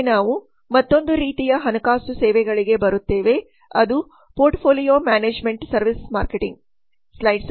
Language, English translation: Kannada, next we come to another type of financial services that is portfolio management service or PMS insurance